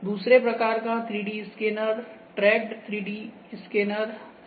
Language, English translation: Hindi, So, second type of 3D scanner is tracked 3D scanner; tracked 3D scanner